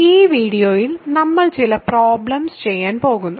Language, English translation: Malayalam, In this video, we are going to do some problems